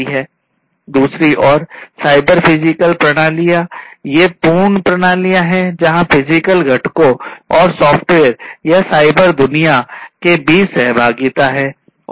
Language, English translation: Hindi, On the other hand, the cyber physical systems these are complete systems where there is an interaction between the physical components and the software or, the cyber world